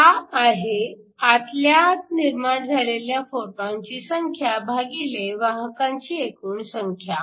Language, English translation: Marathi, So, this is the number of photons that generated internally divided by total number carriers